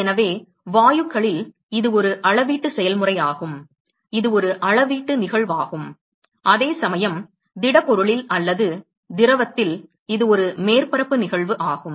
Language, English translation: Tamil, Therefore, in gases it is a it is a volumetric process; it is a volumetric phenomenon, while in a in solids or liquid it is a surface phenomena